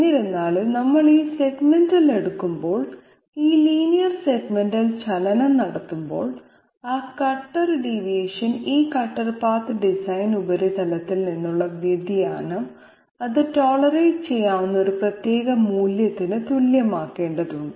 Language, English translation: Malayalam, However, when we are taking this segmental when we are carrying out this linear segmental motion, the deviation that that the cutter the deviation this cutter path suffers from the design surface okay the curve surface that has to be equated to a particular value which can be tolerated